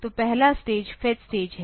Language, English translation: Hindi, So, first stage is the fetch state